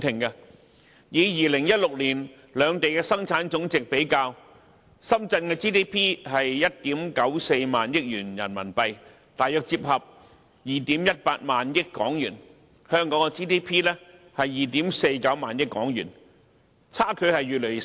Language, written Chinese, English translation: Cantonese, 以2016年為例，深圳的本地生產總值是1億 9,400 萬元人民幣，大約折算為2億 1,800 萬港元，而香港的 GDP 則是2億 4,900 萬港元，相距越來越少。, In 2016 for example the Gross Domestic Product GDP of Shenzhen was RMB 194 million or about 218 million and the GDP of Hong Kong was 249 million . The difference is getting smaller and smaller